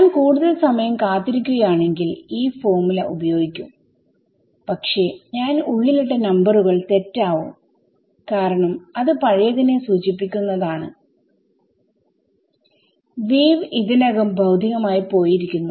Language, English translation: Malayalam, Not if I wait for more time I will use this formula, but the numbers that I put inside will be wrong because there will refer to old wave has already travelled physically